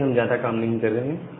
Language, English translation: Hindi, So, you are not doing much tasks